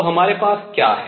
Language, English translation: Hindi, So, what have we got